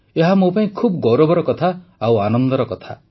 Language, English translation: Odia, For me, it's a matter of deep pride; it's a matter of joy